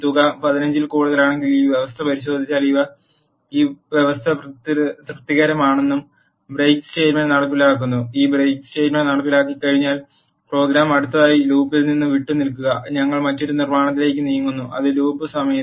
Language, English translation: Malayalam, Now if this condition is checked if sum is greater than 15; this condition is satisfied and the break statement get executed; once this break statement get executed the program quit from the for loop next we move on to another construct which is while loop